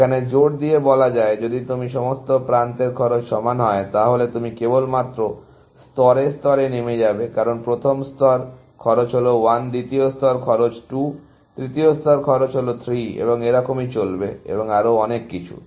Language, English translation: Bengali, That will force the; if all edge cost are equal, then you will just go down level by level, because the first level; the cost is 1, the second level; the cost is 2, third level; the cost is 3, and so on and so forth